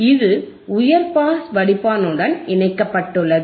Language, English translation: Tamil, iIt is connected to high pass filter